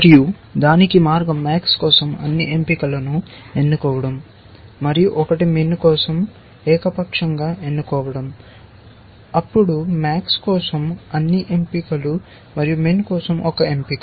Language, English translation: Telugu, And the way to that is to select all choices for max, one choice and let us say, arbitrarily we are choosing the left most choice for min then all choices for max and one choice for min